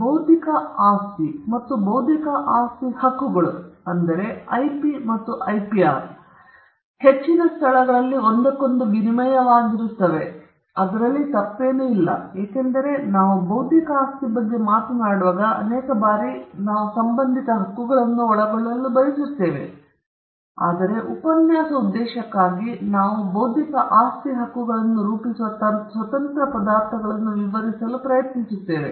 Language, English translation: Kannada, Now intellectual property and intellectual property rights, that is IP and IPR, are in most places used interchangeably, and there is nothing wrong with that, because many a times when we talk about intellectual property we also want to cover or encompass the corresponding rights, but for the purpose this lecture, we will try to explain the independent ingredients that constitute intellectual property rights